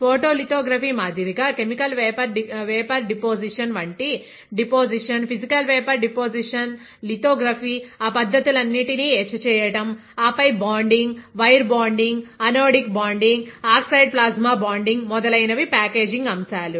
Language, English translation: Telugu, Like photolithography, deposition like chemical vapour deposition, physical vapour deposition, lithography, etching all those methods; and then few packaging concepts like bonding, wire bonding, anodic bonding, oxide plasma bonding etcetera ok